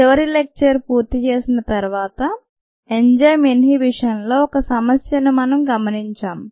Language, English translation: Telugu, when we finished up the last lecture we had looked at ah problem on in enzyme inhibition ah